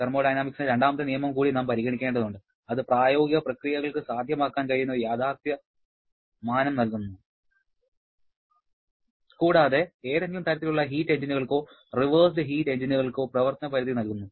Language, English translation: Malayalam, We have to consider the second law of thermodynamics also which provides a realistic dimension in which practical processes can go and also provides a limit of operation for any kind of heat engines or reversed heat engines